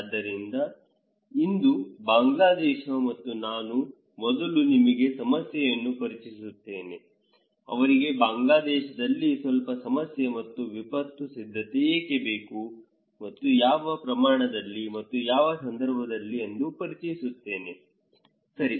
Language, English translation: Kannada, So, this is Bangladesh, and I will first introduce to you the problem; a little problem in Bangladesh and why they need disaster preparedness and what extent and in which context okay